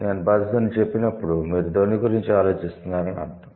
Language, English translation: Telugu, When I say buzz, that means you are thinking about a sound